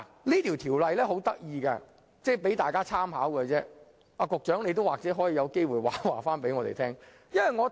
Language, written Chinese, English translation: Cantonese, 這項《條例草案》有一點很有趣，可供大家參考，而局長有機會亦可回應我們。, There is an interesting point in this Bill for Members reference and if possible the Secretary may also give us some feedback